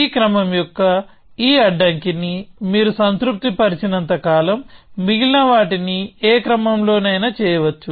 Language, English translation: Telugu, So, as long as you satisfy this constraint of this order, then the rest can be done in any order